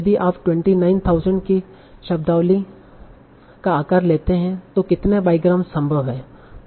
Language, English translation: Hindi, So if you take the vocabulary size of 29,000 something, how many bygrams are possible